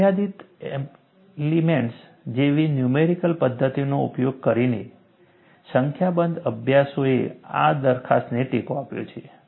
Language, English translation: Gujarati, A number of studies, using numerical methods such as finite elements, have supported this proposition